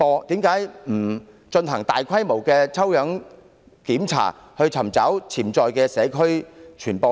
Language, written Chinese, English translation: Cantonese, 為何不進行大規模抽樣檢查，尋找潛在的社區傳播鏈？, Why not conduct a sampling check on a large scale to identify potential chains of infection in the community?